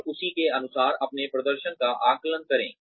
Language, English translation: Hindi, And, assess your performance, according to that